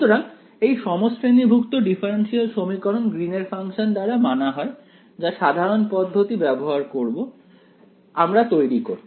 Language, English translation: Bengali, So, the homogeneous differential equation is satisfied by the Green’s function that in general is how you will construct it ok